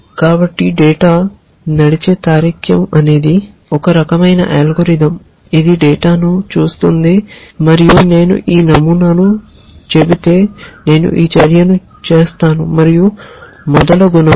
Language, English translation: Telugu, So, data driven reasoning is some kind of an algorithm which looks at data and says that if I say this pattern, I will do this action and so on and so forth